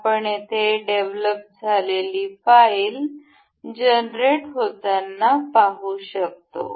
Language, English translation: Marathi, Now, we can see the file that is developed here that is generated